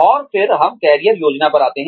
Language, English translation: Hindi, And then, we come to Career Planning